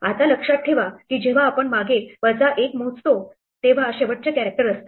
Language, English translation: Marathi, Now, remember that we when we count backwards minus 1 is the last character